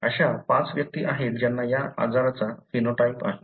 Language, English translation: Marathi, So, there are five individuals which have the phenotype for the disease